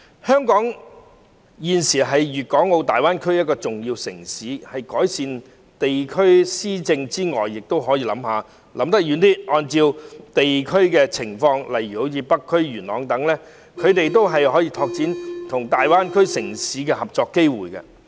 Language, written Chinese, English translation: Cantonese, 香港現時是粵港澳大灣區內一個重要城市，除改善地區施政外，政府亦可以想得長遠一點，按照地區情況，例如北區或元朗等地區，拓展他們跟大灣區城市合作的機會。, Hong Kong is an important city in the Guangdong - Hong Kong - Macao Greater Bay Area . Apart from improving district administration the Government can also think in a longer term perspective and having regard to the situations of different districts such as North District or Yuen Long enhance their opportunities in cooperating with other cities in the Greater Bay Area